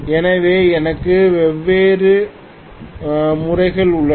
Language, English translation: Tamil, So I have different methods